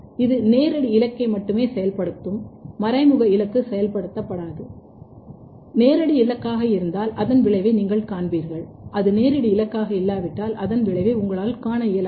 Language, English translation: Tamil, It will activate only the direct target, indirect target will not be activated and if it is direct target then you will see the effect if it is not directed target you will not see the effect